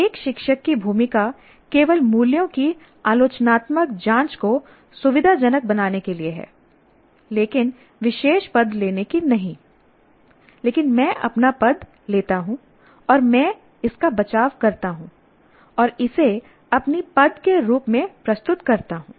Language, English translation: Hindi, A teacher's role is only to facilitate critical examinations of values but not taking a particular position, but I take my position and I defend it and present it as my position